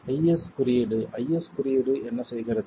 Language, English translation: Tamil, The IS code, what does the IS code do